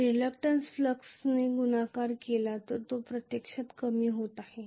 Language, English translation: Marathi, So reluctance multiplied by the flux which is actually also decreasing